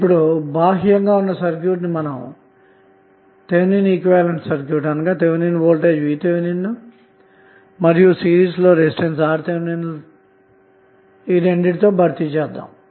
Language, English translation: Telugu, So if we replace the external circuit with Thevenin equivalent that is Thevenin voltage VTh in series with one resistance RTh